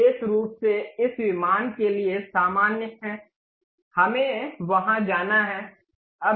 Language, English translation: Hindi, Especially normal to this plane, let us go there